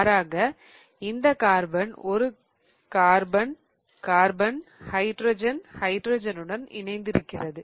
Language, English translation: Tamil, Whereas this carbon here is attached to carbon, carbon, hydrogen, hydrogen